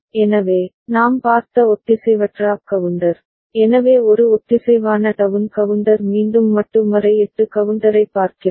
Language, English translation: Tamil, So, asynchronous up counter we have seen, so a synchronous down counter again we look at modulo 8 counter